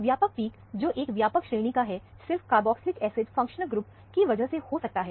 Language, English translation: Hindi, This broad peak, of such a broad range, could only be because of a carboxylic acid functional group